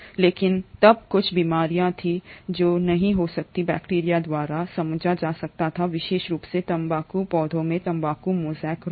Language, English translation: Hindi, But then there were a few diseases which could not be explained by bacteria, especially the tobacco mosaic disease in tobacco plants